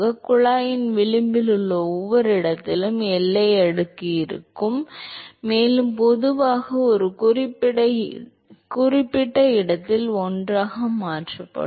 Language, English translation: Tamil, So, the boundary layer will be present in every location in the rim of the tube and they will slowly merge in convert together at a certain location